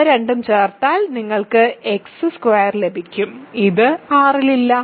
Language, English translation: Malayalam, If you add these two, you get X square which is not in R right